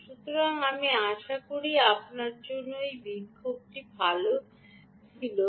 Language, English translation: Bengali, so i hope this demonstration was good for you